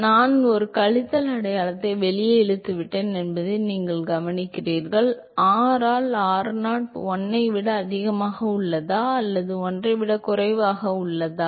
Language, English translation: Tamil, You note that I have pulled a minus sign outside; r by r0 is greater than 1 or less than 1